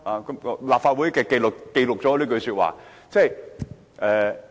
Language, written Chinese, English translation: Cantonese, 請立法會秘書記錄我這句說話。, Will the Clerk of the Legislative Council please record my statement